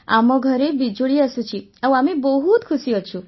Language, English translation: Odia, We have electricity in our house and we are very happy